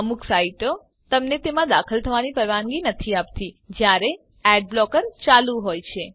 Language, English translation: Gujarati, * Some sites do not allow you to enter them when ad blocker is on